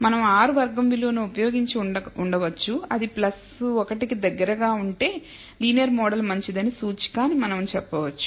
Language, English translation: Telugu, We could have used r squared value we said that if it is close to plus 1 then we should that is one indicator that the linear model maybe good